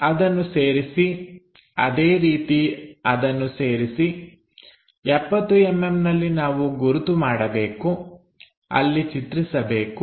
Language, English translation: Kannada, So, join that similarly join that, at 70 mm we have to locate for example, let us look at this picture